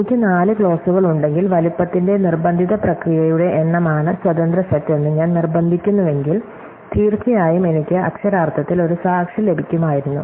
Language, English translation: Malayalam, So, if I have four clauses and if I insist on the size are the independent set being the number of process, then I would definitely have got one witness per literal